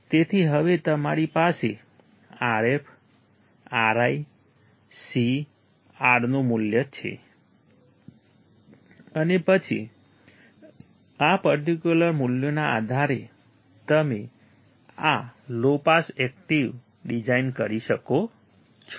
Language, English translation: Gujarati, So, now, you have value of Rf, Ri, C, R and then, based on these particular values you can design this low pass active